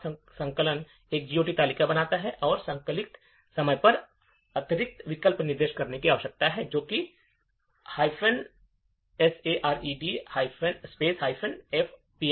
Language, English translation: Hindi, Now, in order that the compiler generates a GOT table, we need to specify additional option at compile time which is minus shared minus fpic